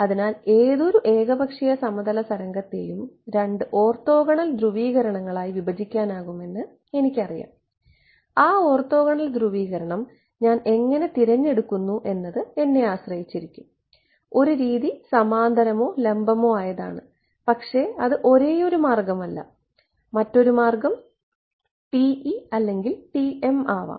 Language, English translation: Malayalam, So, I know that any arbitrary plane wave can be broken up into two orthogonal polarizations, but how I choose those orthogonal polarization that is up to me, one convention is parallel perpendicular, but that is not the only way, another way could be TE and TM